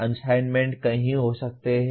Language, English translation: Hindi, Assignments can be many